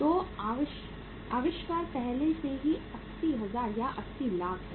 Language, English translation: Hindi, So invent is already 80,000 or 80 lakhs